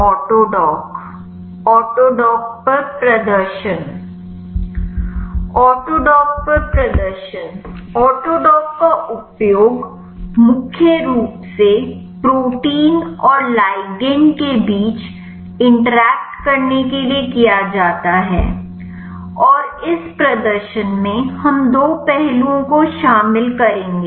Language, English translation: Hindi, Demonstration on Autodock; Autodock is used to get the interaction between protein and ligand mainly, and in this demonstration we will cover two aspects